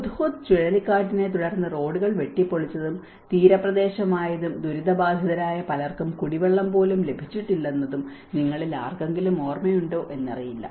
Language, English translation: Malayalam, I do not know if any of you remember after the Hudhud cyclone, the roads have been cut off and being a coastal area, many victims have not even got drinking water